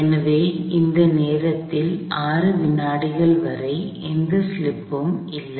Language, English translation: Tamil, So, up until 6 seconds in this span of time, there is no slip